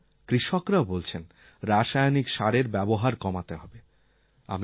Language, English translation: Bengali, Now even the farmers have started saying the use of fertilisers should be curtailed